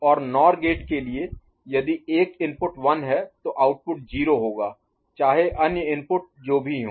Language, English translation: Hindi, And for NOR gate if 1 is there output will be 0 irrespective of what is there in the other input